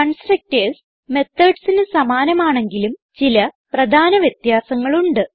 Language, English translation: Malayalam, Constructors are also similar to methods but there are some important differences